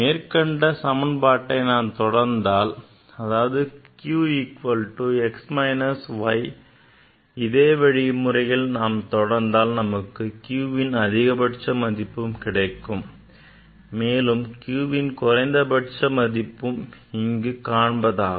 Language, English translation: Tamil, That is what in next I can show you that if you proceed same way q equal to x minus y, if you proceed same way here also, you will see that largest value of q is this, and smallest value of q will be this